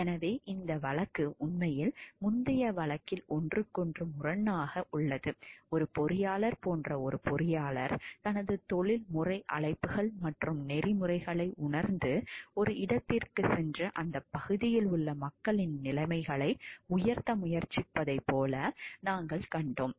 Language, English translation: Tamil, So, where we this actually these 2 cases are contrast to each other in the earlier one, we found like where one engineer like realizes his professional calls and ethics goes to a place tries to uplift the conditions of the people in that area